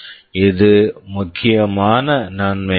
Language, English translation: Tamil, This is the main advantage